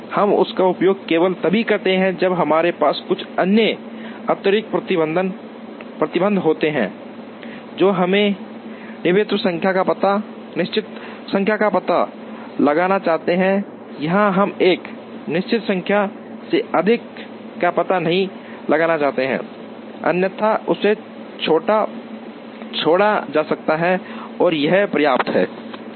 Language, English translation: Hindi, We use this, only when we have some other additional restrictions that we want locate exactly a certain number or we do not want locate more than a certain number, otherwise this can be left out and this is enough